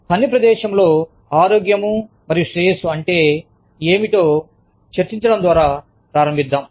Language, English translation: Telugu, Let us start, by discussing, what we mean by, health and well being in the workplace